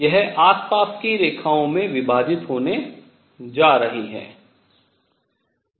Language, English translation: Hindi, This is going to split into nearby lines